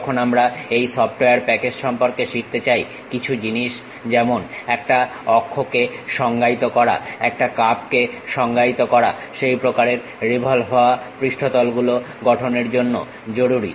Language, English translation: Bengali, When we are going to learn about this software package some of the things like defining an axis defining curve is important to construct such kind of revolved surfaces